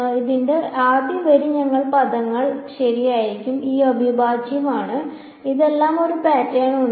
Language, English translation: Malayalam, The first row of this will be what these terms right this integral this integral all of this and there is a pattern to this